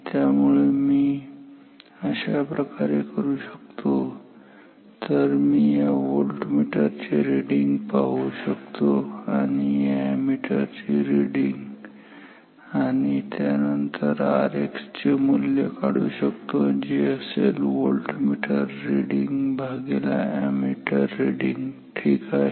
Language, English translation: Marathi, So, this way what I can do, I can look at the reading of this voltmeter and the reading of this ammeter and then estimate the resistance R is quite R X unknown as the voltmeter reading by ammeter reading ok